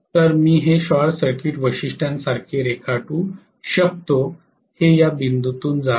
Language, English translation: Marathi, So I can draw this as the short circuit characteristics, this is passing through this point